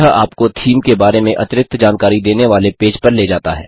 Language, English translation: Hindi, This takes you to a page which gives additional details about the the theme